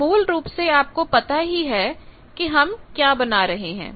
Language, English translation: Hindi, So basically, now you know what we are drawing